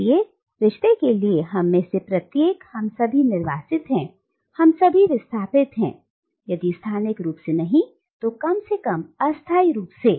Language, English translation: Hindi, So, for Rushdie, every one of us, we are all exiles, we are all displaced, if not spatially then at least temporally